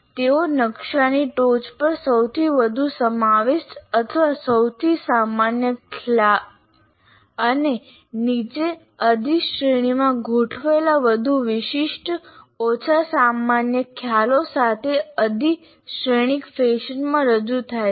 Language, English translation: Gujarati, They are represented in a hierarchical fashion with the most inclusive or most general concepts at the top of the map and more specific less general concepts arranged in, arranged hierarchically below